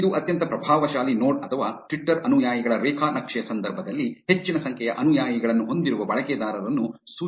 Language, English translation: Kannada, It can signify the most influential node or in case of Twitter follower graph, the user with highest number of followers